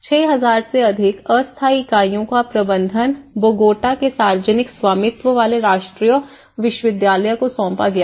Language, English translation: Hindi, The management of the more than 6,000 temporary units was assigned to publicly owned national university of Bogota